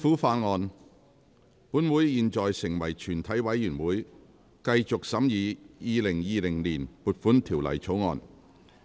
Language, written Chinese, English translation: Cantonese, 本會現在成為全體委員會，繼續審議《2020年撥款條例草案》。, This Council now becomes committee of the whole Council to continue consideration of the Appropriation Bill 2020